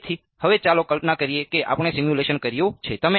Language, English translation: Gujarati, So, now, let us imagine we have done the simulation